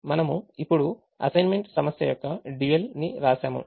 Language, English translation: Telugu, so now let us write the dual of the assignment problem